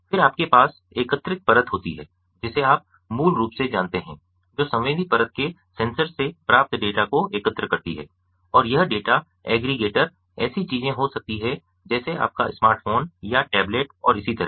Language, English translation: Hindi, then you have the aggregated layer, ah, which basically, you know, aggregates the data that are received from the sensors of the sensing layer, and this data aggregators could be things like, you know, smart phones or tablets and so on